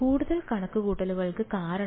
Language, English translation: Malayalam, More computations because